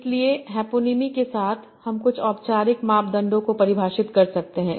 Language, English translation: Hindi, So, with hyponyms, we can also define some formal criteria